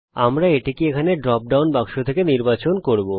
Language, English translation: Bengali, We will choose it from the drop down box here